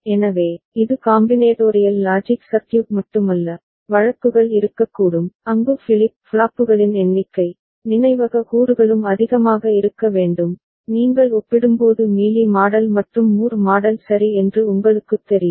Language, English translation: Tamil, So, it is not only the combinatorial logic circuit, there could be a there could be cases, where the number of flip flops, memory elements also need to be more, when you compare you know Mealy model and Moore model ok